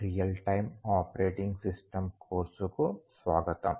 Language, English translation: Telugu, Welcome to this course on Real Time Operating System